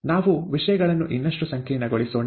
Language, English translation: Kannada, Let us complicate things even further